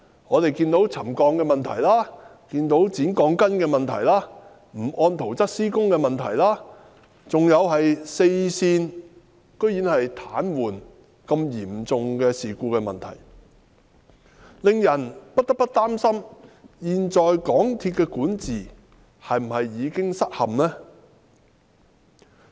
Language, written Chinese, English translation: Cantonese, 我們看到沉降問題、剪鋼筋問題、不按圖則施工問題，還有四線癱瘓等嚴重事故，令人不得不擔心現時港鐵公司的管治是否已經失陷。, We saw the land subsidence problem the cutting short of the reinforcement steel bars the problem of not doing the works in accordance with the plans and the serious incident of a breakdown of four railway lines . We cannot help feeling worried that the existing governance of MTRCL has already collapsed